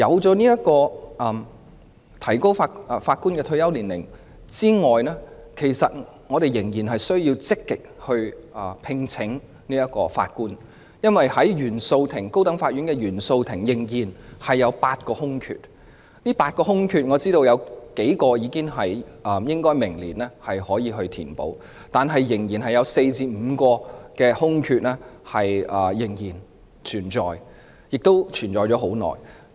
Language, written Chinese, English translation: Cantonese, 除了提高法官的退休年齡外，我們仍然需要積極聘請法官，因為高等法院原訟法庭仍然有8個空缺，我知道當中有數個空缺可於明年填補，但仍然有4個至5個空缺，並已經存在很久。, Apart from extending the retirement age of judges the Government must also actively recruit judges because there are still eight vacancies of Judges of the Court of First Instance of the High Court . I understand that several vacancies will be filled next year but there are still four to five vacancies which have existed for a long time